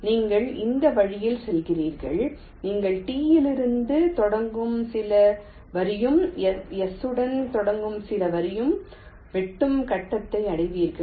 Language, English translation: Tamil, you do in this way and you will reaches stage where some line starting with from t and some line starting with s will intersect